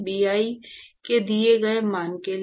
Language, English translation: Hindi, For a given value of Bi